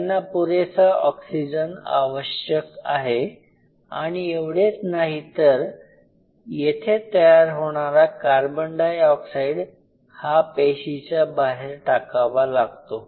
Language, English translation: Marathi, They need sufficient oxygen and not only that this carbon dioxide which is produced here has to be sent outside the system